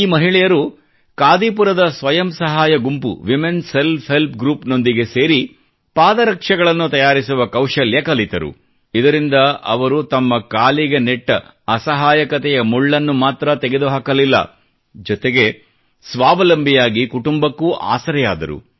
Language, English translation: Kannada, These women aligned withthe women selfhelp group of Kadipur, joined in learning the skill of making slippers, and thus not only managed to pluck the thorn of helplessness from their feet, but by becoming selfreliant, also became the support of their families